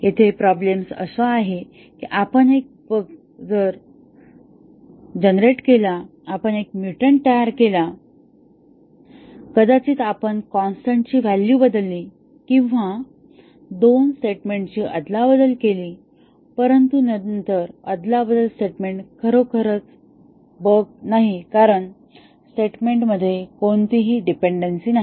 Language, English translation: Marathi, The problem here is that we generated a bug, we created a mutant, may be we replaced the value of a constant or may be we interchanged two statements, but then the interchange statement is not really a bug because there is no dependency between the statements